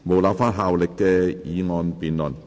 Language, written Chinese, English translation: Cantonese, 無立法效力的議案辯論。, Debate on motion with no legislative effect